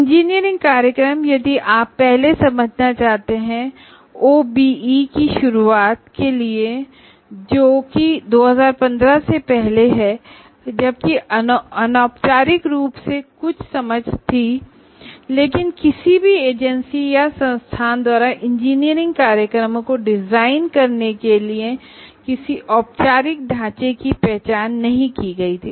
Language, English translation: Hindi, And engineering programs, if you want to understand prior to the introduction of OBE, that is prior to 2015 practically, while informally there were some understanding, but no formal framework was identified by any agency or an institute for designing an engineering program